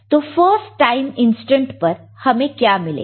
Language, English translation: Hindi, So, at first time instant, what shall I get